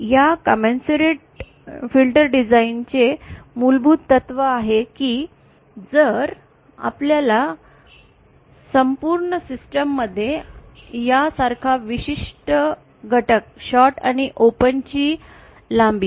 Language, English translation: Marathi, The basic principle of this commensurate filter design that if in our entire system the length of certain element like this short and open